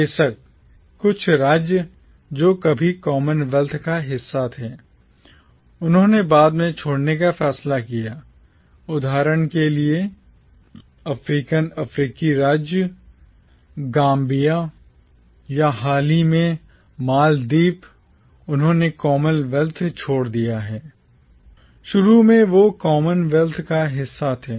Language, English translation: Hindi, Of course, some states which were once part of the commonwealth decided to leave later on, for instance, the African state of Gambia or more recently Maldives, they have left the commonwealth, initially they were part of the commonwealth